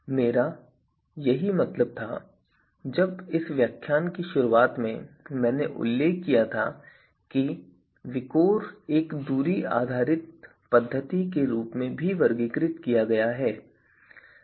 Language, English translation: Hindi, So, that is when I said at the start of this lecture that even VIKOR is also categorized as classified as a distance based method